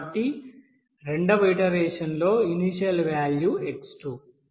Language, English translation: Telugu, So in the second iteration the initial value is x2